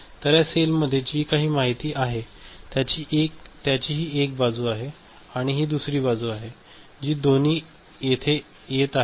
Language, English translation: Marathi, So, whatever information is there in this cell I mean, this is one side, this is another side both are coming over here